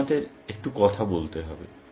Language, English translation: Bengali, You have to speak up a bit